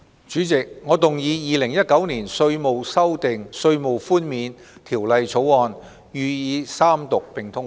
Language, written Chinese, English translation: Cantonese, 主席，我動議《2019年稅務條例草案》予以三讀並通過。, President I move that the Inland Revenue Amendment Bill 2019 be read the Third time and do pass